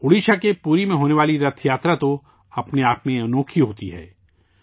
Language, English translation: Urdu, The Rath Yatra in Puri, Odisha is a wonder in itself